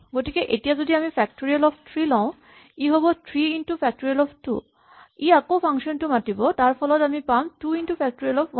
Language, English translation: Assamese, So if I take say factorial of 3, this will result in 3 times factorial of 2 so that will invoke this function again and this will give me 2 times factorial of 1 and so on